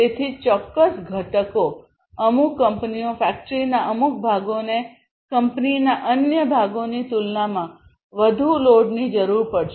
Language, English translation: Gujarati, So, certain components, certain companies certain parts of the factory will require more load compared to the other parts of the company